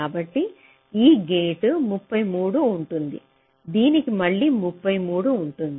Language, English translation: Telugu, so this gate will have thirty three